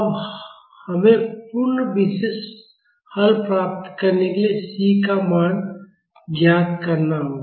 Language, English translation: Hindi, Now we have to find the value of C to get the complete particular solution